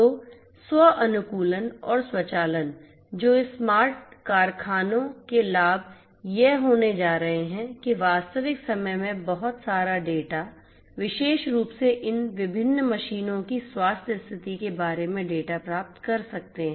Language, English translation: Hindi, So, self optimization and automation so, benefits of this smart factories are going to be that one can you know in real time get lot of data, data about different things particularly the data about the health condition of this different machines